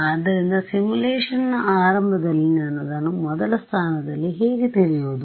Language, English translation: Kannada, So, how do I know it in the very first place at the beginning of the simulation what do I know it to be